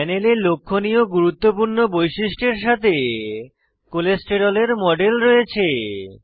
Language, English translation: Bengali, On the panel, we have a model of Cholesterol with important features highlighted